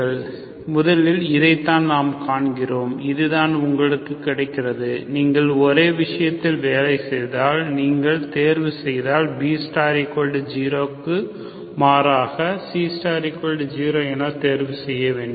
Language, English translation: Tamil, Okay, first we see that this is, this is what you get, if you work with same thing, if you choose B star equal to 0, rather C star equal to 0